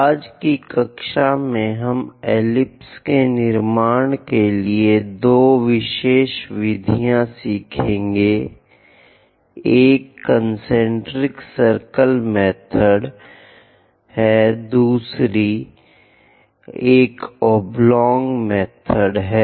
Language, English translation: Hindi, In today's class, we will learn two special methods to construct ellipse, one is concentric circle method, and other one is oblong method